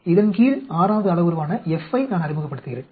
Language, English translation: Tamil, I introduce F, the 6th parameter under this